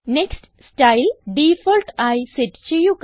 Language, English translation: Malayalam, Set Next Style as Default